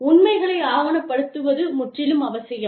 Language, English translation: Tamil, Documentation of the facts, is absolutely necessary